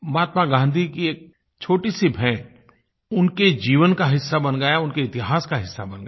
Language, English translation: Hindi, A small gift by Mahatma Gandhi, has become a part of her life and a part of history